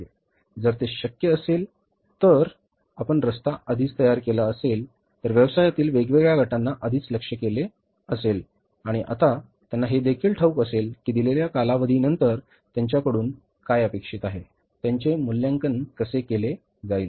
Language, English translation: Marathi, If that is possible, if you have already set the roadmap, already have communicated the target to the different set of people in the organization in the business firms and now they also know it that after the given period of time what is expected from them it will be evaluated